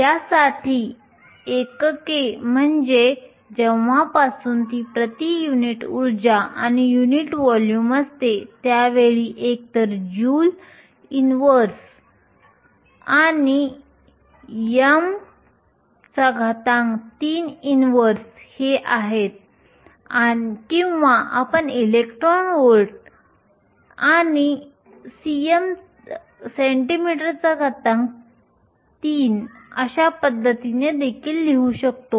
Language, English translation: Marathi, The units for this, since it is per unit energy and unit volume its either joule inverse and meter cube inverse or you can also write in terms of electron volts and centimetre cube